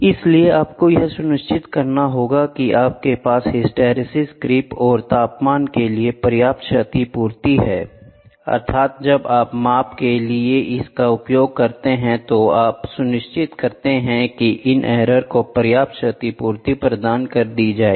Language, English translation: Hindi, So, you have to make sure you have a compensation for hysteresis creep and temperature and measure the when we use this for measurement and you make sure these error are compensated properly